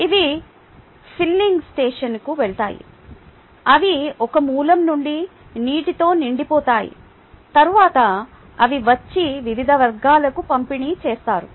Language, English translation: Telugu, ok, these go to the filling stations, they get filled with water from a source and then they come and distributed to various communities